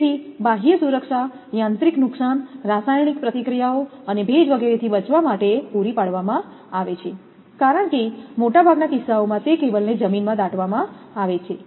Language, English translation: Gujarati, So, external protection is provided for protecting against mechanical damage, chemical reactions and moisture etcetera, because cables in most of the cases it will be buried in the ground